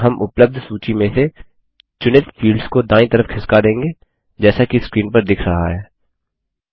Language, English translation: Hindi, And we will move selected fields from the available list to the right side as shown on the screen